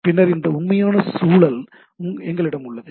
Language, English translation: Tamil, And there are other details and then we have that actual context